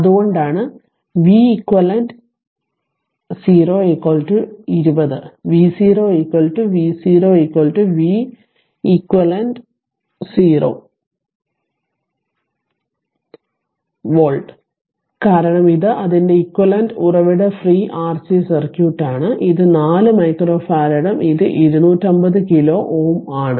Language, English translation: Malayalam, So, that is why that is why that your v cq 0 is equal to 20 volt and V 0 is equal to capital V 0 for v cq 0 is equal to 20 volt because this is the equivalent circuit source free R C circuit whatever we have done and this is 4 micro farad and this is 2 50 kilo ohm